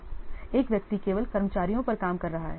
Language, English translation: Hindi, One person only working on staff